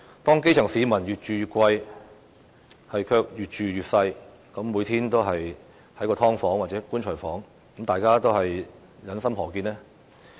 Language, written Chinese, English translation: Cantonese, 當基層市民越住越貴，卻越住越細，每天窩居在"劏房"或"棺材房"，大家又於心何忍呢？, How can Members possibly bear the sight of people paying higher rents for smaller homes and also dwelling in sub - divided units or coffin flats every day?